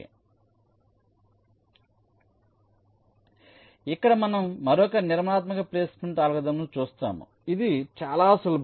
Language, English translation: Telugu, so here we look at another constructive placement algorithm which is very simple